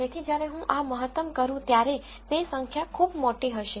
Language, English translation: Gujarati, So, when I maximize this it will be large number